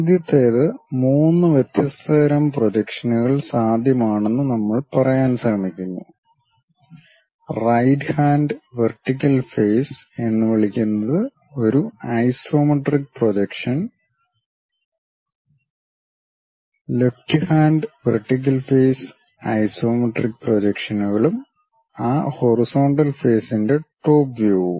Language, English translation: Malayalam, The first one what we are trying to say there are three different kind of projections possible one we call right hand vertical face is an isometric projection, left hand vertical face that is also an isometric projections and the top view of that horizontal face